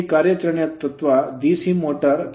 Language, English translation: Kannada, Now principle operation of DC motor